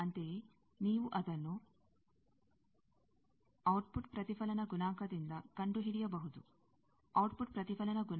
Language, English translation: Kannada, Similarly, you can find it out from output reflection coefficient; that output reflection coefficient will be this b 2 by a 2